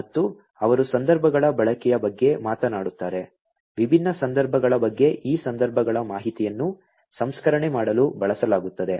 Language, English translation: Kannada, , and they talk about the use of contexts, different context the information about these contexts are used in order to do the processing